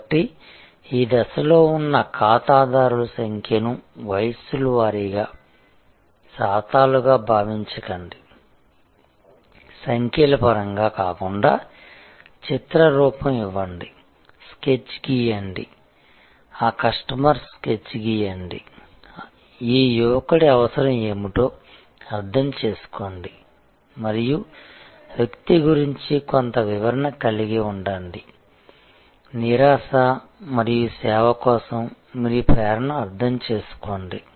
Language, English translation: Telugu, So, do not think of customers at this stage a numbers as percentages as age groups not in terms of numbers, give a face, draw a sketch, draw a sketch of that customer, understand that what is the need of this young teenager girl and have some description of the person, understand the frustration and your motivation for service